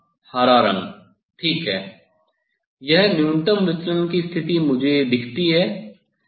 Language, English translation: Hindi, yes, so green colour ok, this is the minimum deviation position looks me